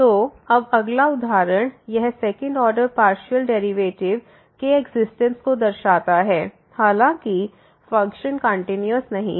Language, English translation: Hindi, So now the next example it shows the existence of the second order partial derivative though the function is not continuous